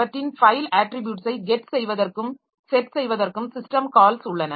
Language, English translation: Tamil, Then we have got system calls for get and set file attributes